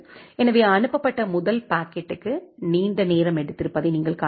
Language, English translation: Tamil, So, you can see that the first packet that was sent it has a longer time